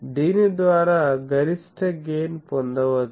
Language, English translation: Telugu, So, by that the maximum gain is obtained